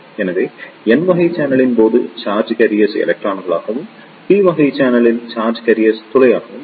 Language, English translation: Tamil, So, in case of n type channel the charge carriers will be electron and in case of p type channel charge carriers will be hole